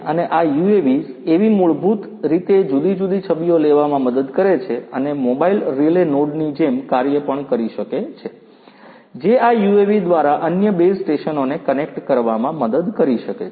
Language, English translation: Gujarati, And this UAV basically helps in taking the different images and can also act like a mobile relay node, which can help connect different base stations to each other through this UAV